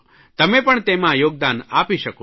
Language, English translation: Gujarati, You can contribute to the site